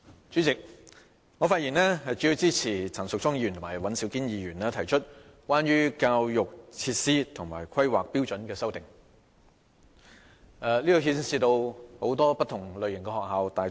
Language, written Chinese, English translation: Cantonese, 主席，我發言主要支持陳淑莊議員和尹兆堅議員提出的關於教育設施和規劃標準的修正案，這牽涉大、中、小、幼等許多不同類型的學校。, President I speak mainly in support of the amendments of Ms Tanya CHAN and Mr Andrew WAN concerning education facilities and planning standards which involve various types of schools such as universities secondary schools primary schools and kindergartens